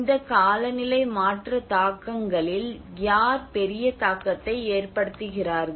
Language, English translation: Tamil, And who have a bigger impact on these climate change impacts